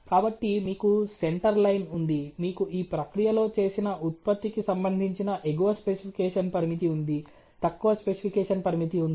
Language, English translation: Telugu, So, you have a center line, you have a upper specification limit, you have a lower specification limit related to the production that is been done in the process